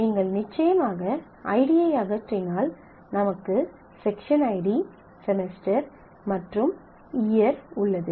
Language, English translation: Tamil, If you remove the course id then you have section id semester and year